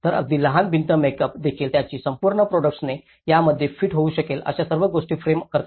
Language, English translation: Marathi, So, even a small wall makeup itself frames everything that their whole products can fit within it